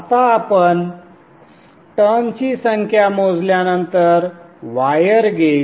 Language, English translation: Marathi, Now after you calculate the number of turns, the wire gauge